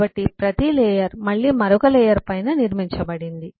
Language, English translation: Telugu, so each layer is built on top of other layer